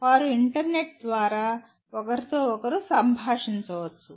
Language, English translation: Telugu, They can interact with each other over the internet